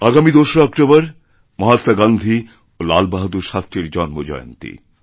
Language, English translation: Bengali, 2nd October is the birth anniversary of Mahatma Gandhi and Lal Bahadur Shastri Ji